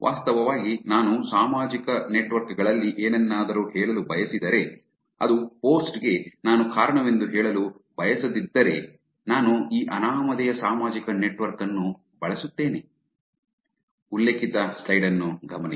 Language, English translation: Kannada, In fact, if I wanted to say something on social networks, but I do not want to be attributed to the post then I would actually use these anonymous social network